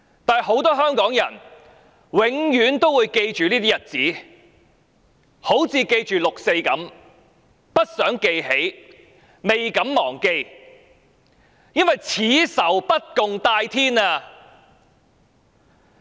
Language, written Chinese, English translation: Cantonese, 但很多香港人永遠也會記着這些日子，就好像記着六四一樣，不想記起，未敢忘記，因為此仇不共戴天。, But many Hongkongers will always remember these dates just as we would remember 4 June something we do not want to remember but dare not forget for the enmity is irreconcilable